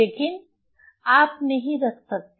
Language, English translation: Hindi, So, but you cannot so you cannot keep